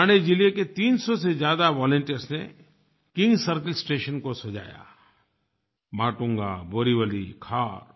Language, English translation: Hindi, Over 300 volunteers of Thane district decorated the King Circle, Matunga, Borivali, Khar stations